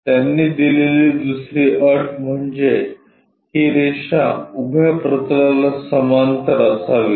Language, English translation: Marathi, The other condition what they have given is this line should be parallel to vertical plane